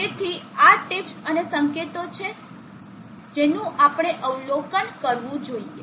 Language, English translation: Gujarati, So these are tips and hints that we should observe